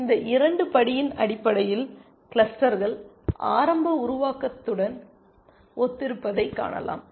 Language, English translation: Tamil, So, you can see these two steps correspond to the initial formation of the clusters essentially